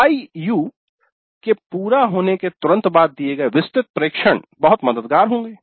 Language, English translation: Hindi, So, the detailed observations given immediately after the completion of an IU would be very helpful